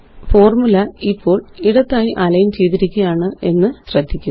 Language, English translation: Malayalam, Notice that the formulae are left aligned now